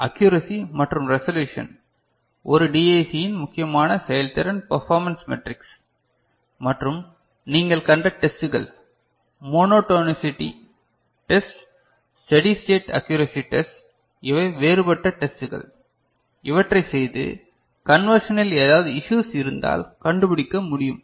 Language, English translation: Tamil, Accuracy and resolutions are important performance metric of a DAC and the tests you have seen monotonicity test, steady state accuracy test, these are the different you know, kind of tests that we perform and to figure out if there are any issues in the conversion